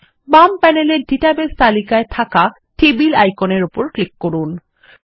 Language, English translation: Bengali, Let us click on the Tables icon in the Database list on the left panel